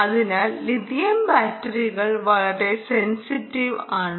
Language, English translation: Malayalam, so lithium batteries are very sensitive to ah